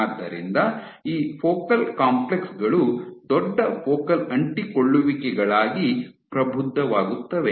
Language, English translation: Kannada, So, from focal complexes, these focal complexes mature into larger Focal Adhesions